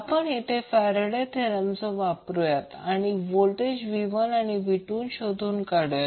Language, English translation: Marathi, So you can simply apply the Faradays law to find out the voltages V 1 and V 2